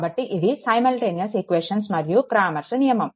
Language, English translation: Telugu, So, this is simultaneous equations and cramers rule